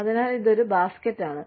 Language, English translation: Malayalam, So, it is a basket